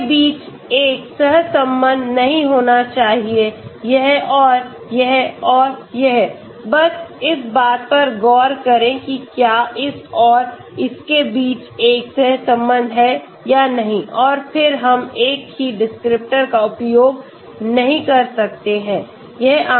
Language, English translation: Hindi, There should not be a correlation between this, this and this and this, just look at whether there is a correlation between this and this may be then we cannot use the same descriptors